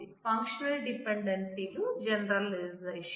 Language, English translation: Telugu, Functional dependencies are generalization